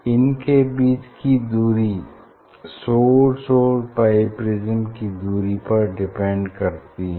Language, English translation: Hindi, their separation it depends on the distance between the source and the bi prism